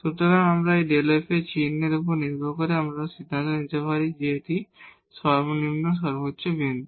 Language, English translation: Bengali, So, based on the sign of this delta f, we can decide whether this is a point of maximum point of minimum